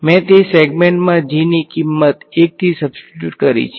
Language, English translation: Gujarati, I have substituted the value of g to be 1 in that segment right